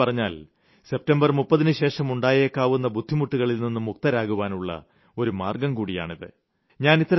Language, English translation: Malayalam, And in another way, this is the way out to save yourself from any trouble that could arise after 30th September